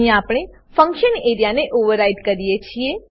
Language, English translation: Gujarati, Here we override the function area